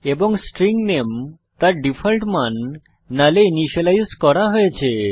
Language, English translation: Bengali, And the String name has been initialized to its default value null